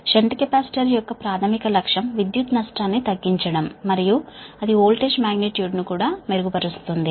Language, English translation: Telugu, i told you there, primary objective of shunt capacitor is to reduce the loss and improve the voltage magnitude